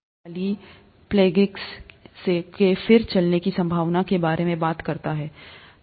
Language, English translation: Hindi, This talks about the possibility of a quadriplegics walking again